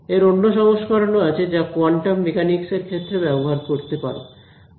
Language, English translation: Bengali, There are versions of this which you can use for quantum mechanics also